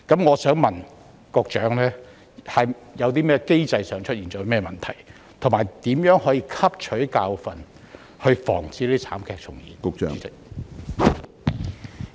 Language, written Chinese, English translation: Cantonese, 我想問局長，機制上有何問題，以及當局會如何汲取教訓防止慘劇重演？, My question for the Secretary is What is wrong with the mechanism and what lesson have the authorities learnt to avoid the recurrence of such tragedy?